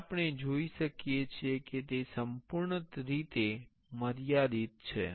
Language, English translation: Gujarati, Now, here we can see it is fully constrained